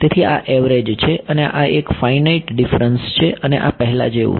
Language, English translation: Gujarati, So, this is average and this is finite difference and this is as before